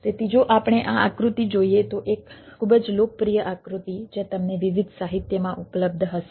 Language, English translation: Gujarati, so if we look at this figure, a very popular figure available in you will find in different literature